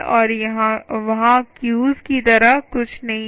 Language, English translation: Hindi, and then there are what are known as queues